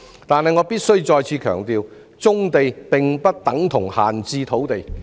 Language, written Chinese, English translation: Cantonese, 但是，我必須再次強調，棕地不等於閒置土地。, However I must stress again that brownfield sites are not idle sites